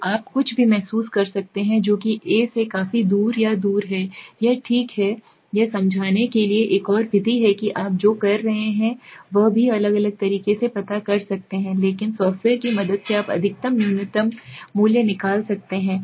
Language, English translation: Hindi, So you can feel anything that is quite far away or away from the A is an outlier okay, this one I explain this is very another method to also find outlier what you can do is you can multiply also but software s help you out maximum minus minimum value